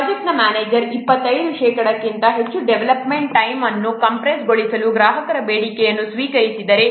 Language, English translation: Kannada, If a project manager accepts a customer demand to compress the development time by more than 25%